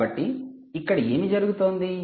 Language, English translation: Telugu, so what is actually happening